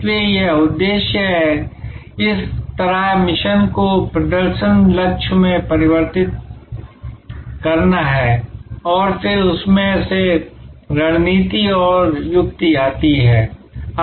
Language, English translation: Hindi, So, this is objective, that is how to convert the mission into performance targets and then out of that comes strategy and tactics